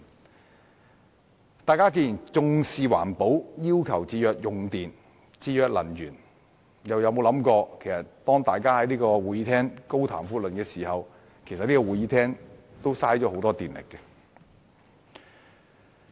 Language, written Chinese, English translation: Cantonese, 既然大家重視環保，要求節約用電和節約能源，為何沒有想到在會議廳內高談闊論，其實也會浪費很多電力？, As we all take environmental protection seriously to request saving electricity and energy why have we not thought of that talking volubly in the Chamber actually wastes much electricity as well?